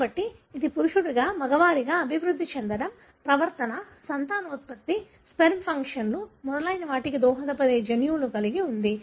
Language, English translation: Telugu, So, it has genes that contribute to the maleness like developing into a male, the behavior, the fertility, the sperm functions and so on